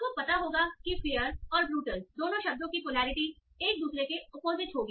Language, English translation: Hindi, So you will know that the polarity of both the words fair and brutal will be abuser to each other